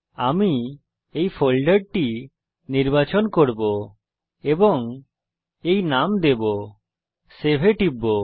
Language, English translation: Bengali, I will choose this folder and give this name